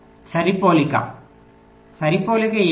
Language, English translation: Telugu, what is a matching